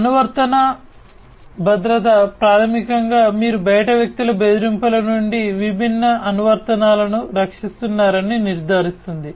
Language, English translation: Telugu, Application security basically ensures that you are protecting the different applications from outsider threats